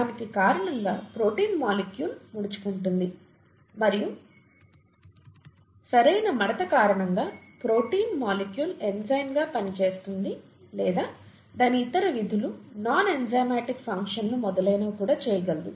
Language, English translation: Telugu, Because of that the protein molecule folds, and because of the proper folding the protein molecule is able to act as an enzyme or even carry out its other functions, non enzymatic functions and so on